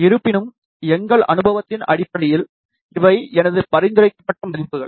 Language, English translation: Tamil, However, based on our experience, these are my recommended values